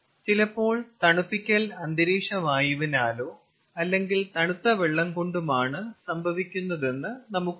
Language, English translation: Malayalam, lets say that some cooling is done by air, ambient air, and some cooling is done by chilled water